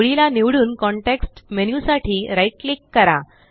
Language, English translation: Marathi, RIght click for the context menu and click Line